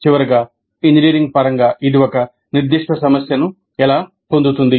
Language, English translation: Telugu, And finally, how does it get a specific problem in engineering terms